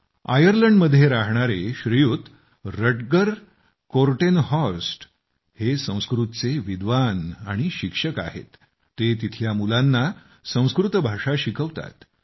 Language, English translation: Marathi, Rutger Kortenhorst, a wellknown Sanskrit scholar and teacher in Ireland who teaches Sanskrit to the children there